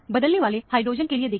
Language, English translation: Hindi, Look for exchangeable hydrogen